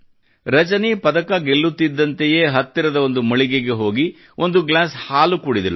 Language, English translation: Kannada, The moment Rajani won the medal she rushed to a nearby milk stall & drank a glass of milk